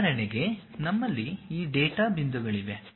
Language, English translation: Kannada, For example, we have these data points